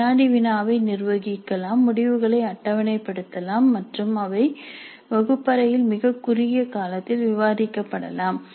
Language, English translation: Tamil, The quiz can be administered, the results can be obtained tabulated and they can be discussed in the classroom in a very short time